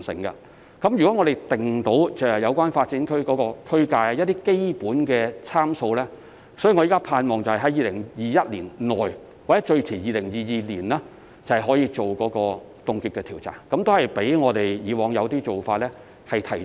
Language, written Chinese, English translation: Cantonese, 如果我們能制訂有關發展區的區界和一些基本的參數，我現時希望可於2021年內或最遲於2022年進行凍結調查，這較我們以往的一些做法是提早了。, If we can draw up the boundary and some basic parameters of the development areas it is my hope at this point of time that the freezing surveys can be carried out in 2021 or in 2022 at the latest which is earlier than the time required when we adopted some other practices in the past